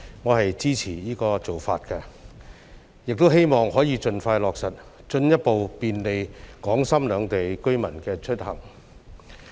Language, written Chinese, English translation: Cantonese, 我支持"一地兩檢"這做法，亦希望它可以盡快落實，進一步便利港深兩地居民的出行。, I am in support of the co - location arrangement and I hope that it can be implemented as soon as possible to further facilitate the commuting of Hong Kong and Shenzhen residents